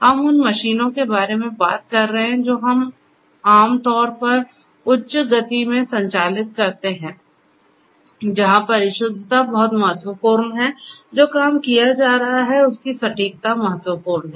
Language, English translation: Hindi, We are talking about machines which typically operate in high speeds where precision is very important; precision of a job that is being done is important